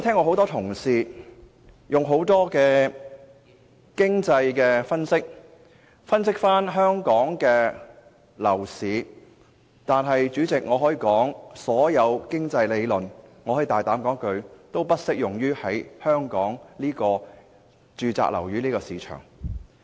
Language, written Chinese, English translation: Cantonese, 很多同事曾嘗試利用各種經濟理論來分析香港的樓市，但我可以大膽說一句，所有經濟理論均不適用於香港的住宅物業市場。, Many Honourable colleagues have tried to analyse Hong Kongs property market by different economic theories . But I dare say that not a single economic theory can explain our residential property market